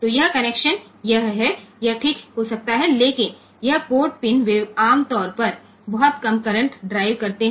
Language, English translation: Hindi, So, this connection this is this may be fine, but this port pin they normally drive very low current